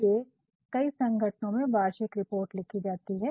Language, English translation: Hindi, For example, in most of the organizations you will find annual reports are being written